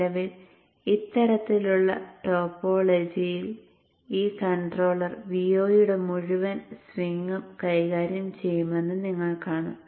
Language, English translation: Malayalam, At present in this type of topology you will see that this controller has to handle the entire swing of V 0